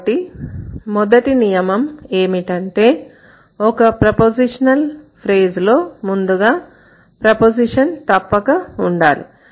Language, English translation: Telugu, So, the first rule, the rule here is that the prepositional phrase must have a preposition as the head word